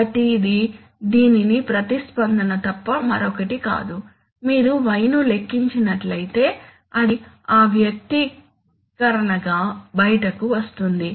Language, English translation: Telugu, So this is nothing but the response to this one, so the response to, simply if you calculate y it will come out to be that expression right